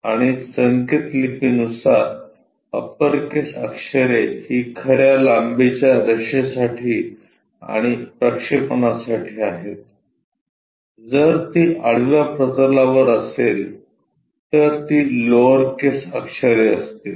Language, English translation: Marathi, And our notation is upper case letters are capital letters for true lines and projections, if it is on horizontal plane, it will be lower case letters